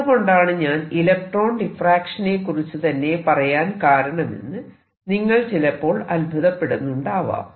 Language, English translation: Malayalam, Now you must be wondering so far how come I am talking about electrons why talking about diffraction of electrons